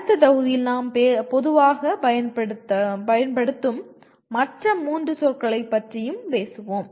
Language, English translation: Tamil, We will also be talking about three other words that we normally use in the next module